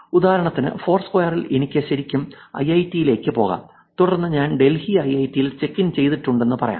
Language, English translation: Malayalam, In this foursquare for example I could actually walk into IIIT and then say that I have checked into IIIT Delhi